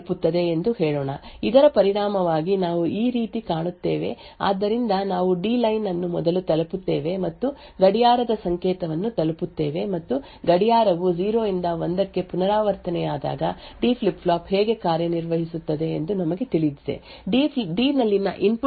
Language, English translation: Kannada, Now let us say that the blue line switches connected to that the input reaches 1st, as a result we would have something which looks like this so we have the D line reaching first then the clock signal reaching and as we know how a D flip flop works when the clock transitions from 0 to 1, the input at D is then latched at the output